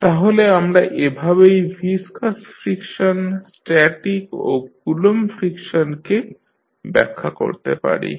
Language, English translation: Bengali, So, this is how we define viscous friction, static and Coulomb friction in the rotating body